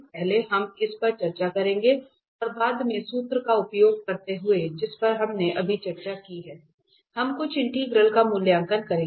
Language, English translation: Hindi, So, how to calculate the residue first we will discuss this and then later on using the formula we have just discussed we will evaluate some integrals